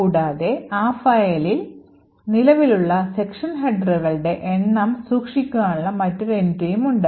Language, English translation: Malayalam, Also, there is another entry called the number of section headers present in that particular file